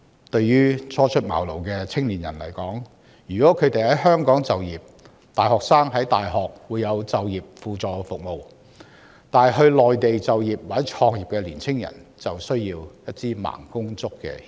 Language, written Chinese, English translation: Cantonese, 對於初出茅廬的青年人來說，他們如在香港就業，大學會為大學生提供就業輔導服務，但他們若選擇前往內地就業或創業，便需要"盲公竹"協助。, If fresh graduates wish to stay in Hong Kong for work their university will provide them with employment counselling services . Yet if they choose to go to the Mainland for employment or business start - up they need some sort of support and guidance